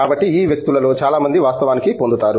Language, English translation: Telugu, So then, it turns out that many of these people actually get on